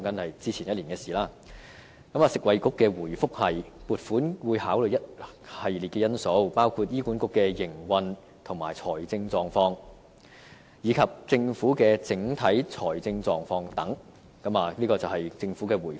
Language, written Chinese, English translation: Cantonese, 食物及衞生局的回覆是撥款會考慮一系列因素，包括醫管局的營運和財政狀況，以及政府的整體財政狀況等，這便是政府的回覆。, The Food and Health Bureau replied that in determining the level of funding the Government would consider a series of factors including the operational and financial situation of HA as well as the Governments overall fiscal position